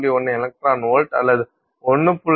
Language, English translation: Tamil, 1 electron volt to 1